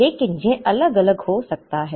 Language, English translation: Hindi, But, it can vary